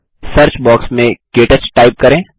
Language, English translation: Hindi, In the Search box type KTouch